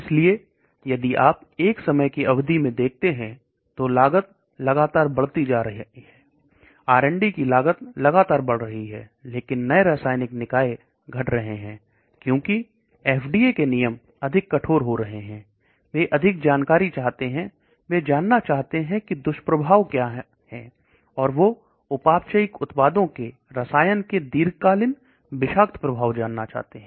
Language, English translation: Hindi, So if you look over a period of time the cost keeps increasing the R and D cost keeps increasing, but the new chemical entities are sort of decreasing that is because the FDA has become more stringent, they want more information they want to know what are the side effects and they want to know that long term toxic effects of the chemical the toxic effect of the metabolized products